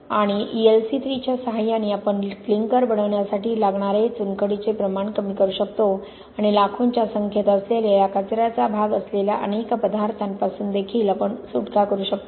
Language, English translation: Marathi, And with L C 3 we can, we can reduce the amount of limestone needed for making the clinker and we can also get rid of lot of materials that are in millions and part of waste